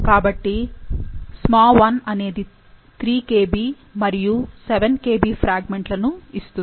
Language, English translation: Telugu, So, SmaI yields a 3 Kb and a 7 Kb fragment